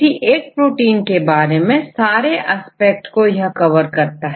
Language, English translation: Hindi, So, it has more information regarding a particular protein